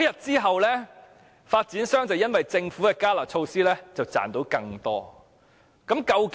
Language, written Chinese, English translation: Cantonese, 自那天起，因為政府的"加辣"措施，發展商賺得更多利潤。, Starting from that day the developers have made more profits because of the Governments enhanced curb measure